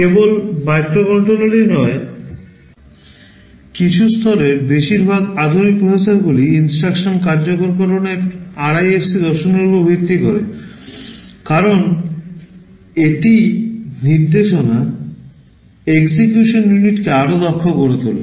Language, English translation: Bengali, Not only microcontrollers, most of the modern processors at some level are based on the RISC philosophy of instruction execution because it makes the instruction execution unit much more efficient